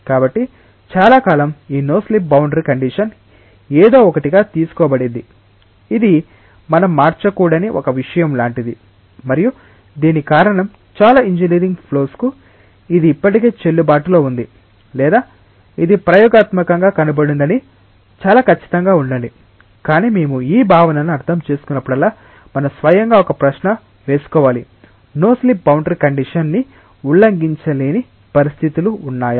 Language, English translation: Telugu, So, for a long time this no slip boundary condition was taken as something, which is like a ritual which we should not change and the reason was that for many of for most engineering flows it is still valid or it has been experimentally found to be very very accurate, but whenever we are understanding this concept we should ask our self a question: Are there conditions in which the no slip boundary condition maybe violated